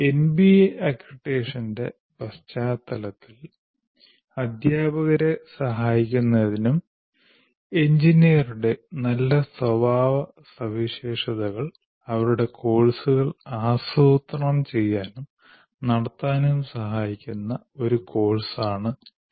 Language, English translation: Malayalam, And as you know, Tale is a course that facilitates the teachers in the context of the NBA accreditation and the what we call as the good characteristics of engineer, it facilitates the teachers to plan their courses and conduct their courses